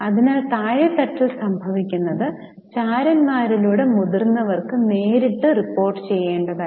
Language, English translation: Malayalam, So, what is happening at a lower level was to be directly reported to seniors through spies